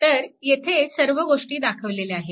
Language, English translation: Marathi, So, all this things are marked